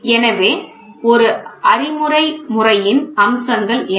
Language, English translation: Tamil, So, what are the features of a theoretical method